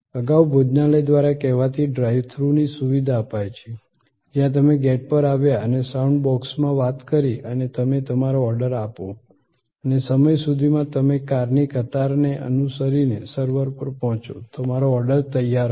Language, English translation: Gujarati, Earlier, there is to be the so called drive through restaurants, where you came to the gate and spoke into a sound box and you place your order and by the time, you reach the server following the queue of cars, your order was ready